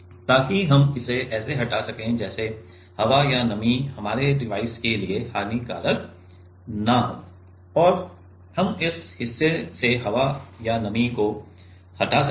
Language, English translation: Hindi, So, that we can remove it like a if air or moisture is not will is not harmful for our device and we can remove the air or moisture from this part